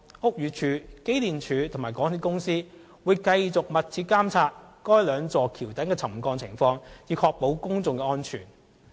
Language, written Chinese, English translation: Cantonese, 屋宇署、機電署及港鐵公司會繼續密切監察該兩座橋躉的沉降情況，以確保公眾安全。, BD EMSD and MTRCL will continue to closely monitor the subsidence condition of those two viaduct piers so as to ensure public safety